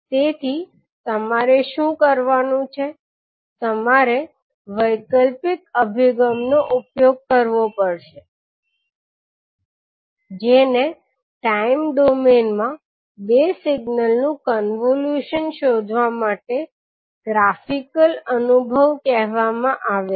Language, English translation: Gujarati, So what you have to do, you have to use the alternate approach that is called the graphical approach to find the convolution of two signal in time domain